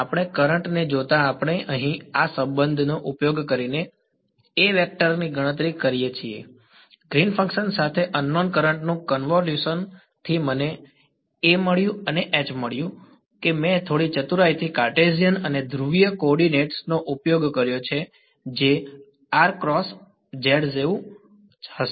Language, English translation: Gujarati, Given the given the current we could calculate the A vector using this relation over here, convolution of unknown current with Green’s function I got A from A I got H and H I calculated little bit cleverly making use of both Cartesian and polar coordinates right you are something like r cross z